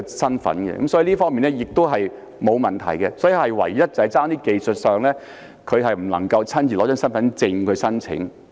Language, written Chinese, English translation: Cantonese, 申領資格方面是沒有問題的，唯一只是技術上，他不能夠親自攜帶身份證來申請。, He is hence completely eligible for this handout the only technical problem is that he cannot bring along his identity card to apply for the handout in person